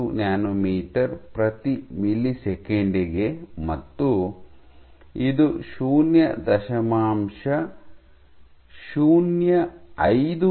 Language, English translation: Kannada, 5 nanometer per millisecond and this is 0